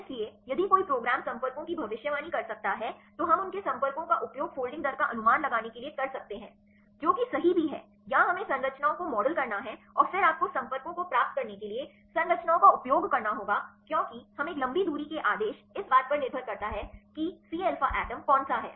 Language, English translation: Hindi, So, if one program can predict the contacts then we can use their contacts to predict the folding rate right that is also possible or we have to model the structures and then you have to use a structures to get the contacts because we a long range order depends upon which atom c alpha atom